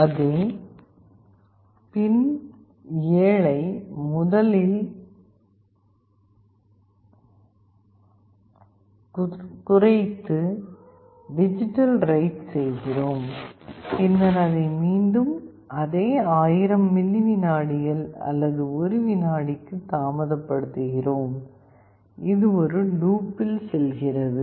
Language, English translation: Tamil, Then we do a digitalWrite to the same pin 7 to low, and then we delay it for again the same 1000 milliseconds or 1 second, and this goes on in a loop